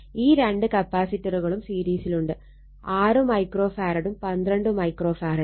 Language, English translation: Malayalam, These two capacitors are there in series 6 microfarad, and 12 microfarads right